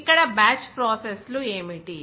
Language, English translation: Telugu, What is that batch processes here